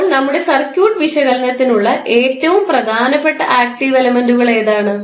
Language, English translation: Malayalam, So, what are the most important active elements for our circuit analysis